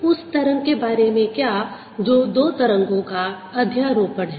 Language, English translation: Hindi, what about a wave which is a superposition to